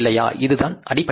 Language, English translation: Tamil, This is the basic principle